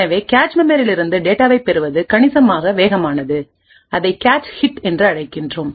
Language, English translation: Tamil, So this fetching from the cache memory is considerably faster and we call it a cache hit